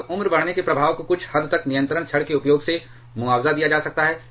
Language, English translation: Hindi, Now, that aging effect can be somewhat compensated by the use of control rods